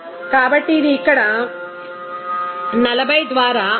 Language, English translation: Telugu, So, this is simply 40 by here 5